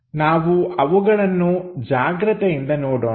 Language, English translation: Kannada, So, let us look at those carefully